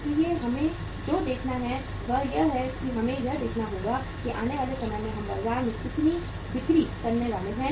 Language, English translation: Hindi, So what we have to see is we have to see we have to forecast that how much we are going to sell in the in in the market in the time to come